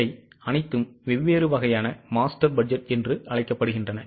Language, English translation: Tamil, All these are called as different types of master's budget